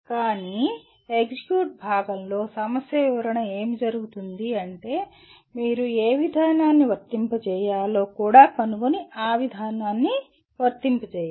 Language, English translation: Telugu, But in the execute part, what happens the problem description is that you should also find out which procedure to apply and then apply the procedure